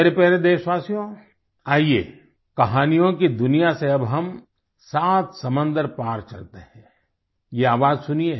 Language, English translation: Hindi, My dear countrymen, come, let us now travel across the seven seas from the world of stories, listen to this voice